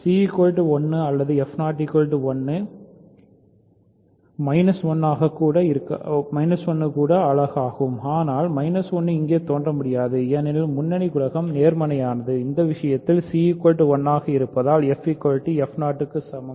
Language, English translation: Tamil, So, either c is 1 or f 0 is 1, minus 1 is also unit, but minus 1 cannot appear here because the leading coefficient is positive, in this case c is 1 so, f is equal to f 0